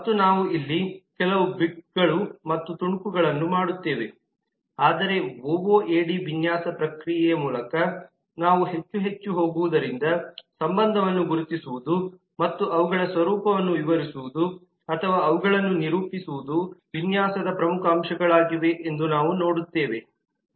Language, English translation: Kannada, and we will do some bits and pieces of that here, but more and more as we will go through the ooad design process we will see that identifying relationship and describing their nature or characterizing them are key components of the design